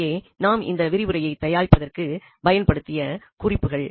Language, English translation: Tamil, These are the references we have used for preparing this lecture